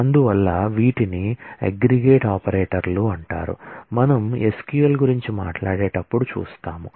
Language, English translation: Telugu, And therefore, these are called aggregate operators we will see when we talk about SQL